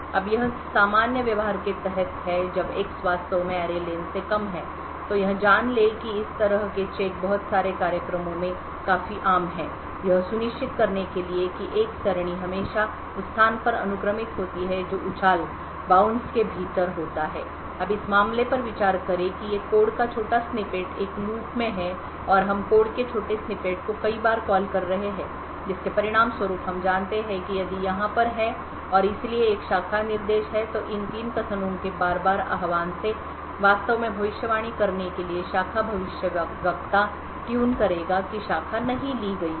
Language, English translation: Hindi, Now this is under the normal behavior when X is indeed less than array len so know that these kind of checks is quite common in lot of programs to ensure that an array is always indexed at the location which is within it's bounce now consider the case that these small snippet of code is in a loop and we are calling the small snippet of code multiple times so as a result we know that if over here and therefore there's a branch instruction this repeated invocation of these 3 statements would actually tune the branch predictor to predict that the branch is not taken